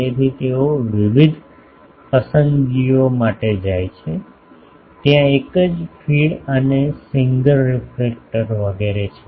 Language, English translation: Gujarati, So, what they go for various choices are there single feed and single reflector etc